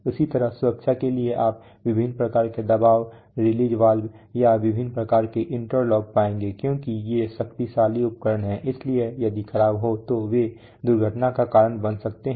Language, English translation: Hindi, Similarly for safety you will find lots of you know various kinds of really pressure release valves, or various kinds of interlocks, because these are you know powerful devices so if the malfunction they may cause accidents